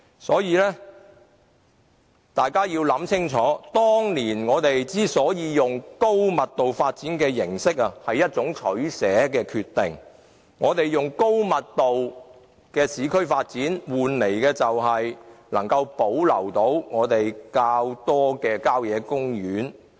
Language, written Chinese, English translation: Cantonese, 所以，大家要想清楚，當年之所以用高密度發展形式，是一種取捨，我們用高密度的市區發展換來保留較多的郊野公園。, Hence we must understand why we went for a high development density in the past . It was a give - and - take decision . We chose high - density urban development in order to preserve more country park space